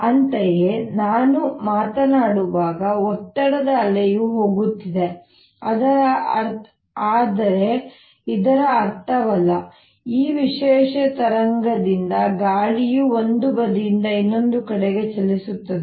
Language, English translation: Kannada, similarly, when i am speaking, there is a pleasure wave that is going, but does not mean that air is moving from one side to the other